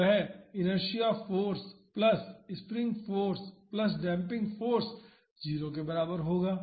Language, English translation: Hindi, So, that would be inertia force plus spring force plus damping force is equal to 0